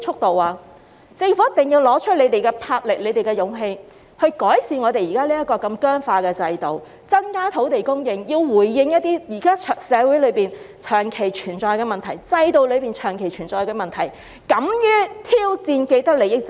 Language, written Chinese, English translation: Cantonese, 政府一定要拿出魄力和勇氣，改善政府現時這麼僵化的制度，增加土地供應，回應那些在社會、制度裏長期存在的問題，敢於挑戰既得利益者。, What kind of speed is this? . The Government must be courageous and bold to improve the existing rigid system of the Government increase land supply address those problems which have long existed in society and the system and dare to challenge the parties with vested interests